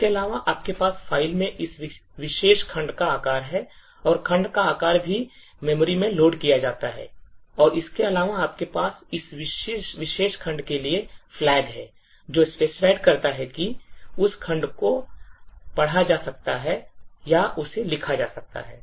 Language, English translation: Hindi, Beside this, you have the size of this particular segment in the file and also the size of the segment when it is loaded into memory and additionally you have flags for this particular segment, which specifies whether that segment can be read, written to or can be executed